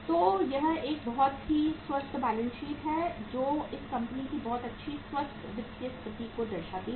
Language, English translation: Hindi, So it is a very very healthy balance sheet which depicts a very good very healthy financial position of this company